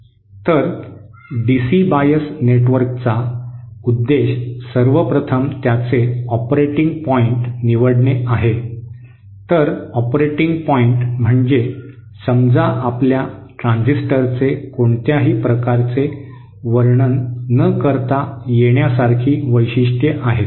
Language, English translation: Marathi, So the purpose of DC bias network is first of all its select the operating point, so operating point means if suppose our transistor has characteristics without specifying what kind of